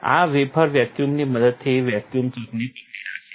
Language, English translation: Gujarati, This wafer is hold to the vacuum chuck with the help of vacuum